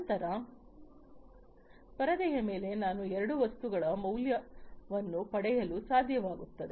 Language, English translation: Kannada, And then on the screen I should be able to get the value of two things